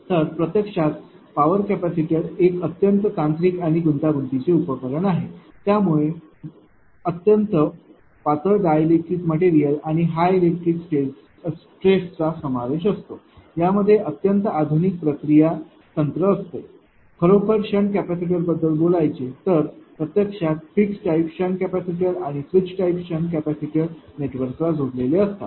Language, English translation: Marathi, So, in reality; however, a power capacitor is a highly technical technical and complex device in that very thin dielectric materials and high electric stresses are involved coupled with highly sophisticated processing technique actually in reality; that is ah I am talking about sand capacitor that actually reality sand capacitors actually ah you have a fixed type of sand capacitor and switch type of sand capacitor connected to the network